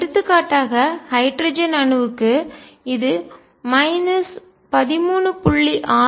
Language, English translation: Tamil, For example, for hydrogen atom it will be minus 13